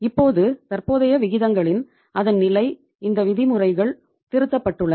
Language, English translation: Tamil, Now the level of current ratios this norms have been revised